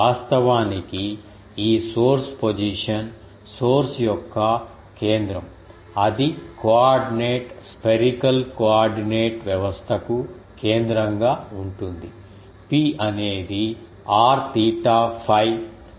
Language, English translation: Telugu, Actually, this source position the center of the source that will be our center of the coordinate spherical coordinate system, P is a point it will be characterized by r theta phi